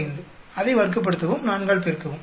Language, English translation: Tamil, 45 square multiply by 4